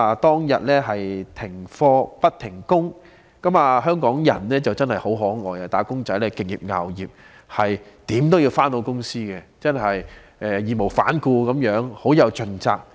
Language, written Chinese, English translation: Cantonese, 當日停課不停工，但香港人很可愛，"打工仔"敬業樂業，無論如何也要上班，真的是義無反顧地，十分盡責。, On days when classes were suspended but workers still had to go to work Hong Kong people behaved in an adorable way . Wage earners respect and enjoy their work . They insisted on going to work despite the adverse conditions being really undaunted and highly responsible